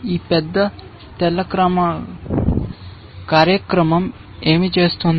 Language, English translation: Telugu, What will this poor white program do